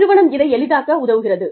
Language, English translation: Tamil, The organization facilitates this